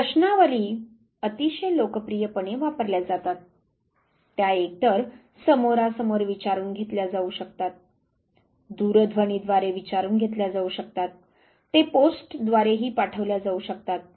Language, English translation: Marathi, Questionnaires very popularly used it can either face to face, it could be done telephonically, it would be sent by post